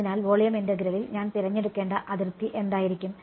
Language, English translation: Malayalam, So, in volume integral, what would be the boundary that I have to choose